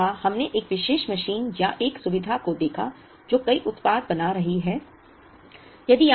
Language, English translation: Hindi, We said, we looked at a particular machine or a facility that is making multiple products